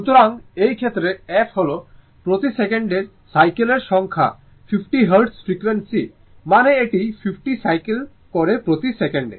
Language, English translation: Bengali, So that means, so in this case, the f is the number of cycles per second 50 hertz frequency means it is 50 cycles per second, right